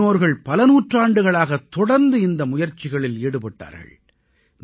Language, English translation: Tamil, Our ancestors have made these efforts incessantly for centuries